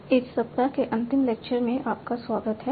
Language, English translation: Hindi, So welcome to the final lecture of this week